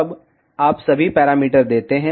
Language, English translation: Hindi, Now, you give all the parameters